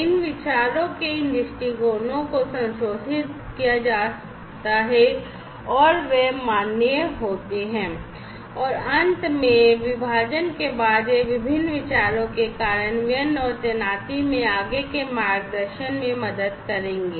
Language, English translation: Hindi, These viewpoints of these ideas are revised and they are validated and finally, after division, these will be helping to guide further guide in the implementation and deployment of the different ideas